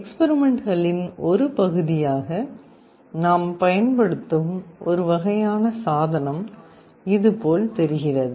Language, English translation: Tamil, One kind of device we shall be using as part of the experiment looks like this